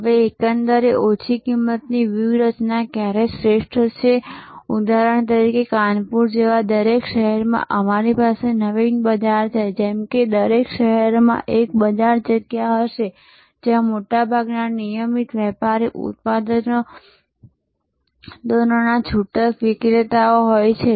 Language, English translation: Gujarati, Now, when is overall low cost strategy best for example, in every city like in Kanpur we have Naveen market, like in every city there will be a market place, where most of the retailers of regular merchandise products